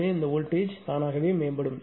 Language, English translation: Tamil, So, voltage will automatically improve